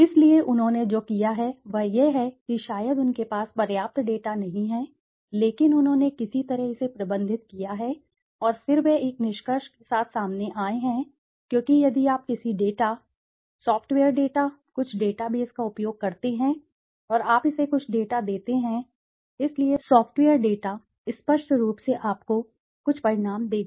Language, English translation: Hindi, So, what they have done is that they have not maybe, sometimes they have not adequate data but they have somehow managed it and then they have come out with a conclusion because if you use any data, a software data something database and you give it some data, so the software data will be obviously giving you some results